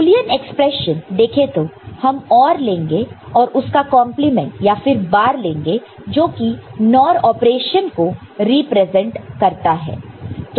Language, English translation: Hindi, And Boolean expression we just use this is OR and then a compliment or a bar that represents the NOR operation